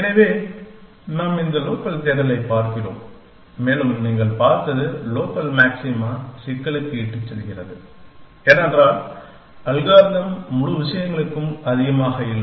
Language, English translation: Tamil, So, we are looking at this local search and your seen that which leads us to a problem of local maximum because the algorithm does not have the excess to the entire things space